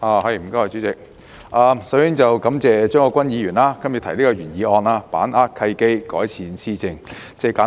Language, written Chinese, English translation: Cantonese, 代理主席，我首先感謝張國鈞議員動議"把握契機，改善施政"的議案。, Deputy President first of all I would like to thank Mr CHEUNG Kwok - kwan for moving the motion entitled Seizing the opportunities to improve governance